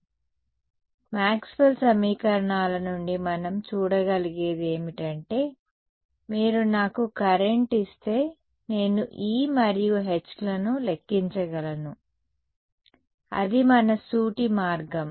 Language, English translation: Telugu, So, far what we have been seen in from Maxwell’s equations is that, if you give me current I can calculate E and H that is our straightforward route right